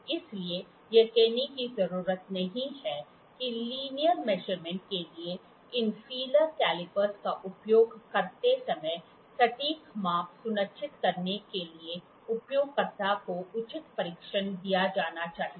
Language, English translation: Hindi, Therefore, it is needless to say that proper training should be imparted to the user to ensure accurate measurements, when using these feeler calipers for linear measurement